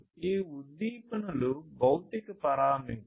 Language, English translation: Telugu, So, these stimulus are basically physical parameters